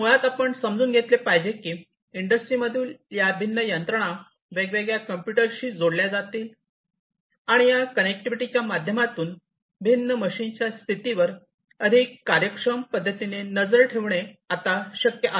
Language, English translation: Marathi, So, basically what we are think I mean what has happened is these different machinery in the industries would be connected to different computers and through this connectivity, what it would be possible is to monitor the condition of these machines in a much more efficient manner than before